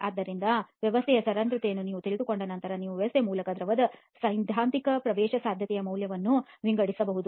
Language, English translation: Kannada, So once you know the porosity of the system you can sort of work out the theoretical permeability value of the fluid through the system